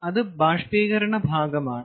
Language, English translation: Malayalam, ok, why evaporator section